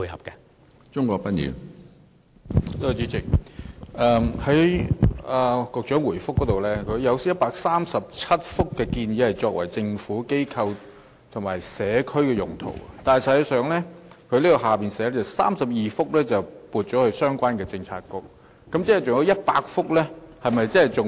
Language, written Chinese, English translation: Cantonese, 主席，局長在主體答覆中提到，有137幅建議作"政府、機構或社區"用途的空置校舍用地，之後又提到當中32幅已撥予相關政策局作相關發展。, President the Secretary first stated in the main reply that 137 VSP sites were recommended for GIC uses . Later he said that 32 of those sites had already been allocated to the relevant bureaux for related developments